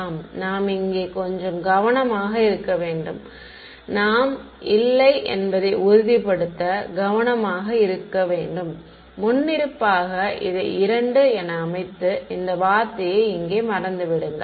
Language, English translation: Tamil, Yeah so, you have to be a little bit careful over here you should be careful to make sure that you do not by default set this just 2 and forget this term over here it matters ok